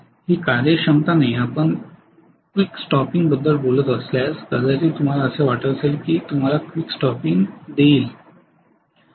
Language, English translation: Marathi, That is not efficiency, if you are talking about quick stopping, may be that gives a quick stopping that is what you think